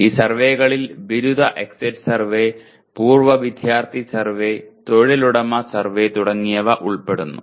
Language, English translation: Malayalam, These surveys will include graduate exit survey, alumni survey, employer survey and so on